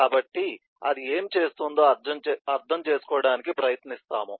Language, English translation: Telugu, so we will try to understand